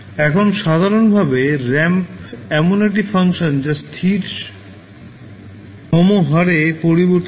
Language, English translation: Bengali, Now, in general the ramp is a function that changes at a constant rate